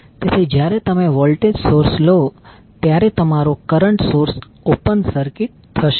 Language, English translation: Gujarati, So, when you take the voltage source your current source will be open circuited